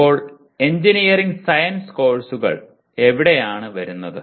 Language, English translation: Malayalam, Now where do the engineering science courses come to